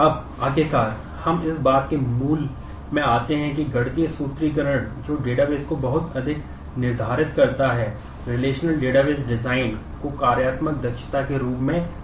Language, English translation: Hindi, Now, finally we come to the core of what the mathematical formulation which dictates much of the data base, relational database design is known as functional dependencies